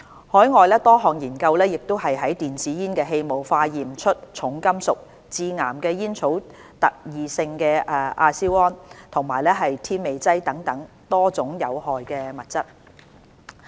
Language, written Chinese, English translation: Cantonese, 海外多項研究亦於電子煙的氣霧化驗出重金屬、致癌的煙草特異性亞硝胺，以及添味劑等其他多種有害物質。, Several overseas studies have also found the presence of many other types of harmful substances in e - cigarette aerosol including heavy metals carcinogenic tobacco - specific nitrosamines and flavourings